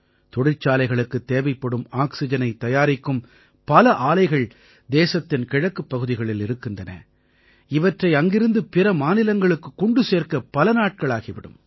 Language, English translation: Tamil, Many plants manufacturing industrial oxygen are located in the eastern parts of the country…transporting oxygen from there to other states of the country requires many days